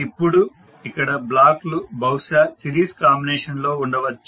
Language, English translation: Telugu, Now there are the blocks which may be in series combinations